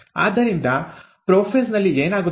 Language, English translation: Kannada, So what happens in prophase